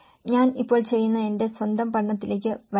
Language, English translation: Malayalam, Letís come to some of my own study which I am currently doing